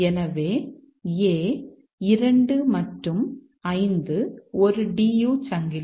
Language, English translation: Tamil, So, A, 2 and 5 is a DU chain